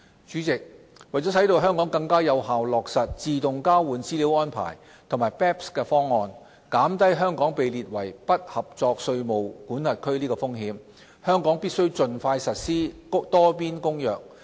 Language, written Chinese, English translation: Cantonese, 主席，為使香港更有效落實自動交換資料安排及 BEPS 方案，減低香港被列為"不合作稅務管轄區"的風險，香港必須盡快實施《多邊公約》。, President in order for Hong Kong to more effectively implement AEOI and BEPS package and reduce its risk of being listed as a non - cooperative tax jurisdiction Hong Kong must implement the Multilateral Convention as soon as possible